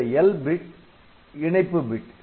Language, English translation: Tamil, So, L is the link bit